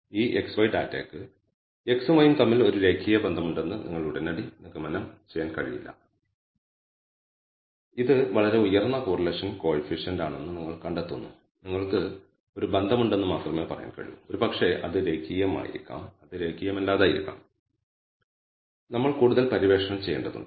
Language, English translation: Malayalam, You find it is a very high correlation coefficient you cannot immediately conclude there is a linear relationship between x and y, you can only say there is a relationship perhaps it is linear may be it is even non linear we have to explore further